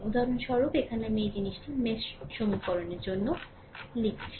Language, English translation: Bengali, So for example, here I have written for your this thing mesh equation